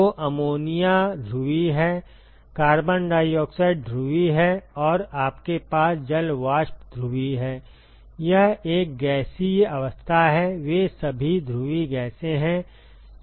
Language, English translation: Hindi, So, ammonia is polar carbon dioxide is polar, and you have water vapor is polar, it is a gaseous state they are all polar gases